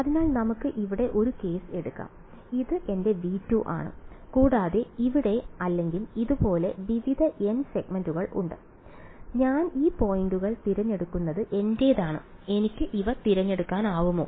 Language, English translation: Malayalam, So, supposing let us take one case over here this is my V 2 and there are various n segments over here or like this and it is up to me where I choose this points can I choose these